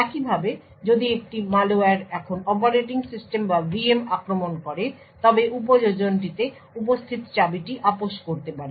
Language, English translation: Bengali, Similarly, if a malware now attacks the operating system or the VM then the key which is present in the application can be compromised